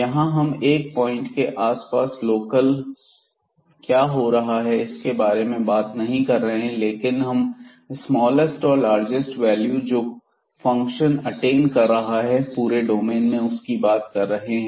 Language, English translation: Hindi, So, here we are not talking about what is happening locally around a certain point, but we are talking about the smallest and the largest values attained by the function over the entire domain